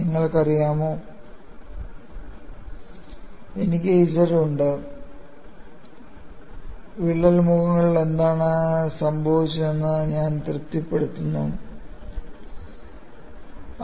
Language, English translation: Malayalam, You know, I am having Z, I am satisfying what happens at the crack phasess,; and I am satisfying what happens at the infinity